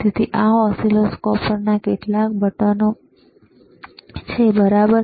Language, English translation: Gujarati, So, these are several buttons on the on the oscilloscope, all right